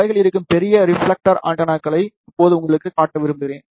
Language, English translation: Tamil, I want to now show you large reflector antennas, which are present in the world